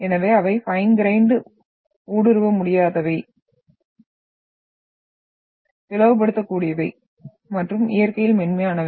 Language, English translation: Tamil, So they are fine grained, impermeable, cleavable and soft in nature